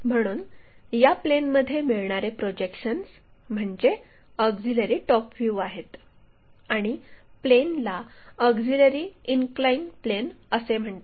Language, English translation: Marathi, And, that kind of plane is called auxiliary top view and the auxiliary plane is called auxiliary inclined plane